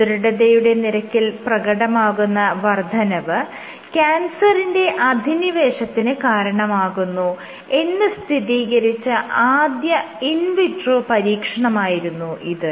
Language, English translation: Malayalam, So, this was the first demonstration in vitro that increase in stiffness can induce cancer invasion